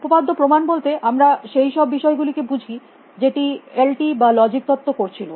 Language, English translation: Bengali, By theorem proving we mean the kind of seen that LT was doing logic theories was doing